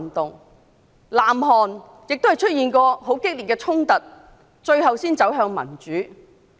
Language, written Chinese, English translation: Cantonese, 至於南韓亦出現過激烈的衝突，最後才能走向民主。, Serious confrontations also occurred in South Korea before it finally moved towards democracy